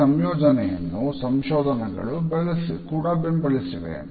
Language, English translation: Kannada, These associations have also been supported by research